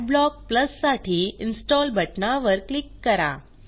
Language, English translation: Marathi, Click on the Install button for Adblock Plus